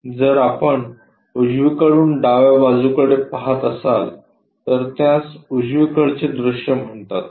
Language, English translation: Marathi, If we are looking from right side towards left side that view what we call right side view